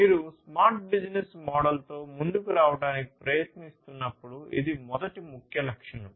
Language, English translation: Telugu, This is the first key attribute when you are trying to come up with a smart business model